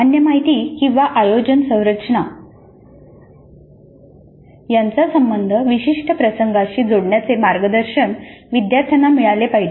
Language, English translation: Marathi, Learners should be guided to relate the general information or an organizing structure to specific instances